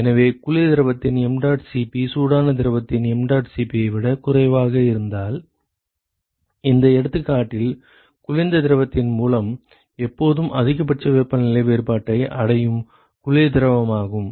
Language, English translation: Tamil, So, if the mdot Cp of the cold fluid is less than the mdot Cp of the hot fluid then it is the cold fluid which will always achieve the maximal temperature difference, by cold fluid for this example